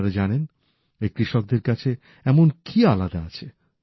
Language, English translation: Bengali, Do you know what is different with these farmers